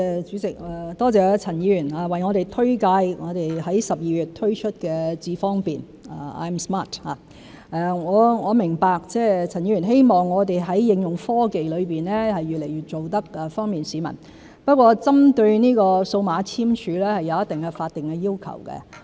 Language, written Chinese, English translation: Cantonese, 主席，多謝陳議員推介我們在12月推出的"智方便"，我明白陳議員希望我們在應用科技方面做到越來越方便市民，不過針對這個數碼簽署，是有一定的法定要求。, President I thank Mr CHAN for recommending iAM Smart introduced by us in December . I understand that Mr CHAN wants us to bring greater convenience to the public in the application of technologies but there are certain statutory requirements for digital signing